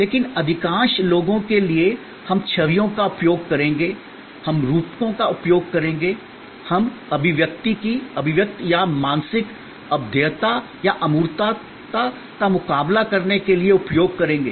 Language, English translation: Hindi, But, for most people, we will use images, we will use metaphors, we will use expressions to counter the intangibility or mental impalpability or the abstractness